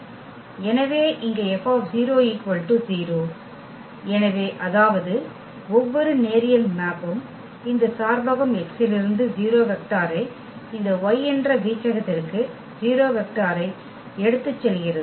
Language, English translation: Tamil, So, here F 0 so; that means, that every linear map takes the 0 vector from this domain X to the 0 vector in this range Y